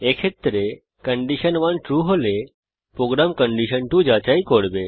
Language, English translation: Bengali, In this case, if condition 1 is true, then the program checks for condition 2